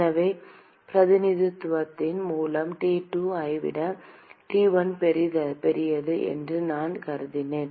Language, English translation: Tamil, So, by representation, I have assumed that T1 is greater than T2